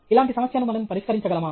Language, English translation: Telugu, Can we solve a similar problem